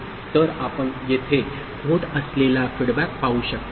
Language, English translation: Marathi, So, you can see the feedback happening here